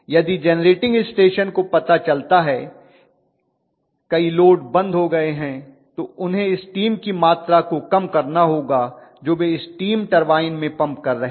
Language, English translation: Hindi, If the generating station realizes many loads having shed off, then they have to reduce the amount of steam that they are pumping into the steam turbine right